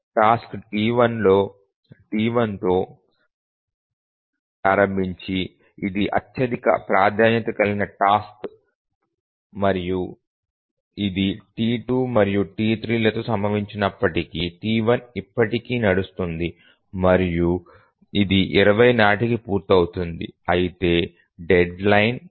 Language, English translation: Telugu, T1 is the highest priority task and even if it occurs with T2, T3, T1 will run and it will complete by 20, whereas the deadline is 100